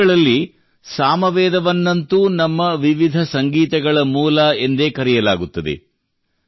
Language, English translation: Kannada, In the Vedas, Samaveda has been called the source of our diverse music